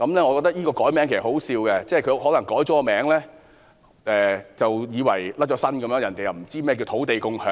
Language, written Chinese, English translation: Cantonese, 我覺得易名是可笑的，她可能以為易名後政府便能脫身，別人便不知何謂"土地共享"。, I think the change in name is absurd . She probably thinks that following the change the Government will not be held liable and nobody will know what is meant by land sharing